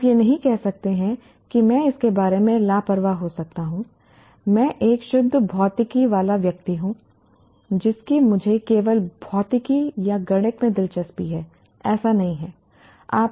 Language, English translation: Hindi, You cannot say I couldn't care less about, I'm a pure physics person, I'm only interested in physics or mathematics